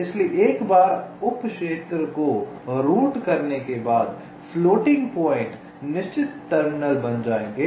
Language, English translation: Hindi, so once this sub region is routed, the floating points will become fixed terminals